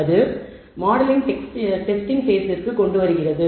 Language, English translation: Tamil, So, that comes to the testing phase of the model